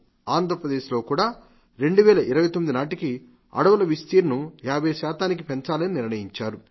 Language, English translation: Telugu, Andhra Pradesh, too has decided to increase its green cover by 50% by the year 2029